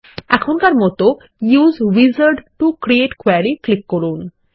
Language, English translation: Bengali, For now, let us click on Use Wizard to Create Query